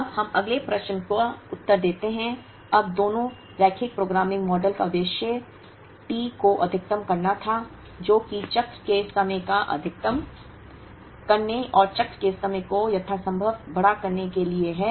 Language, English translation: Hindi, Now, let us answer the next question, now both the linear programming models the objective was to maximize T, which is to maximize the cycle time and make the cycle time as large as possible